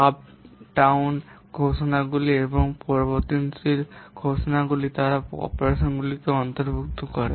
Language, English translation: Bengali, The subroutine declarations and variable declarations they comprise the operands